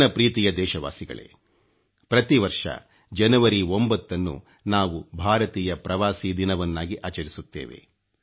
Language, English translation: Kannada, My dear countrymen, we celebrate Pravasi Bharatiya Divas on January 9 th every year